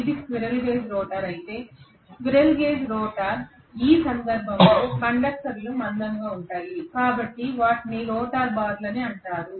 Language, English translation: Telugu, If it is a squirrel cage rotor, squirrel cage rotor in that case these conductors are going to be thick, so they are actually called as rotor bars